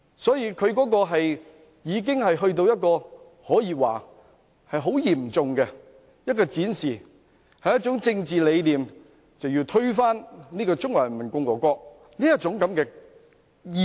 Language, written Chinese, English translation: Cantonese, 所以，他的行為可說是嚴重地展示出他的政治理念，讓我看到一種要推翻中華人民共和國的意識。, Hence we can say that his acts have seriously demonstrated his political ideas showing me an ideology of overturning the Peoples Republic of China